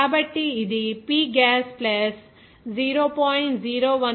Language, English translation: Telugu, So, it will be coming as P gas + 0